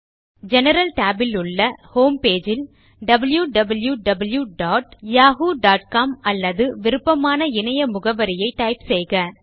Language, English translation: Tamil, In the General tab, click on Home Page field and type www.yahoo.com or any of your preferred webpage